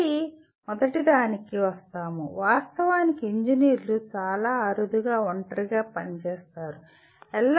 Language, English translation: Telugu, Again, coming to the first one, actually engineers very rarely work in isolation